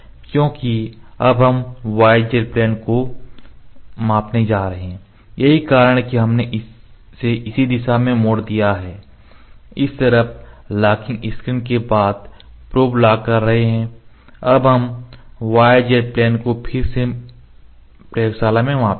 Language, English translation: Hindi, Because we are going to measure now the y z planes that is why we have turned this to this direction this is locking nut on this side locking screen on the other side we have locked the probe here now we will measure this y z plane again in laboratory